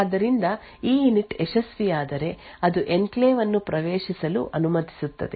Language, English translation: Kannada, So, if EINIT is successful it allows the enclave to be entered